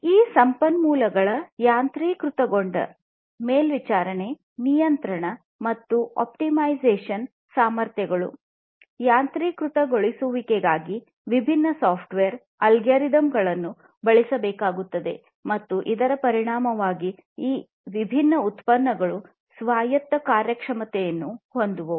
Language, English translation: Kannada, Automation; automation of these resources, monitoring, control, and optimization capabilities, different software algorithms will have to be used for the automation, and the effect is having autonomous performance of these different products